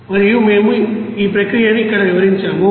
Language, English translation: Telugu, And we have described that process here